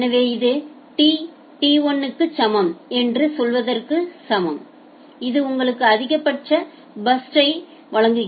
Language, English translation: Tamil, So, this is equal to say T equal to t1 this will give you the maximum burst size